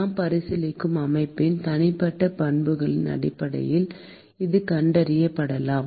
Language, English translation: Tamil, It can be detected based on the individual properties of the system that we are considering